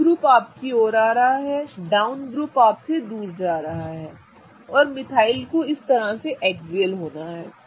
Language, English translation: Hindi, So, the up group is coming towards you, the down group is going away from you and methyl has to be thus axial up